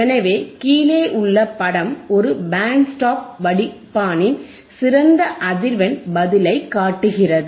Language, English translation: Tamil, So, the figure below shows the ideal frequency response of a Band Stop Filter